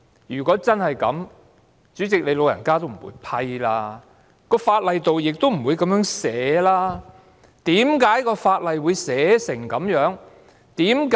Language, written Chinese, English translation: Cantonese, 如果真是這樣，主席，你"老人家"也不會批准我提出議案，而法例亦不會這樣寫。, If that is really the case President your good self would not have allowed me to propose the motion and the law would not have been written in this way